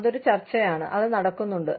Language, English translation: Malayalam, That is a debate, that is going on